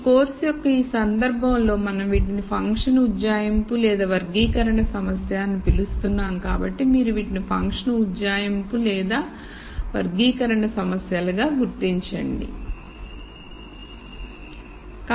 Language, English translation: Telugu, In this case of this course we are calling these as function approximation or classification problem so you identify these problem sorry as either function approximation are classification problems